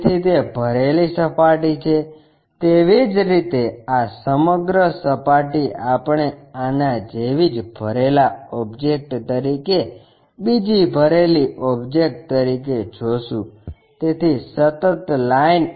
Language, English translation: Gujarati, So, it is a filled surface, similarly this entire surface we will see as another filled object on this one as a filled object; so, a continuous line